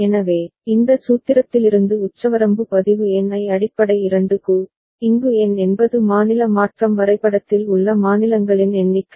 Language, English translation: Tamil, So, from this formula that ceiling log N to the base 2, where N is the number of states in the state transition diagram